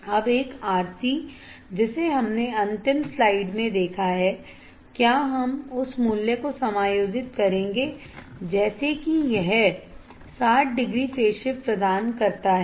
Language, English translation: Hindi, Now, one RC we have seen in last slide will we will we will adjust the value such that it provides 60 degree phase shift